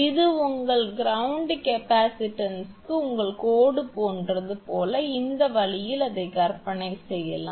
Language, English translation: Tamil, As if it is something like your line to your ground capacitance, this way it can be imagine